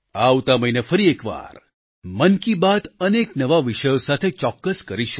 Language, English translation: Gujarati, We will meet in another episode of 'Mann Ki Baat' next month with many new topics